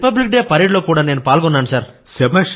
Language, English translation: Telugu, And Sir, I also participated in Republic Day Parade